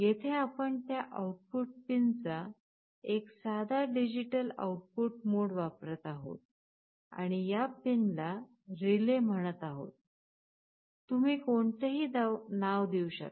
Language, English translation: Marathi, Because, here we are using a simple digital output mode of that output pin and we are calling this pin as “relay”, you can give any name here